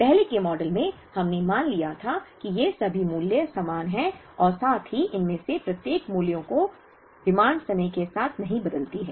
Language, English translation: Hindi, In the earlier models, we assumed that, all these values are the same as well as our each of these values the demand does not change with time